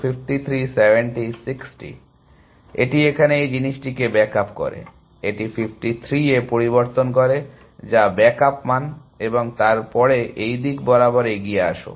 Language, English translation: Bengali, So, it backs up this thing here, changes this to 53, which is the backed up value and then to seats along this direction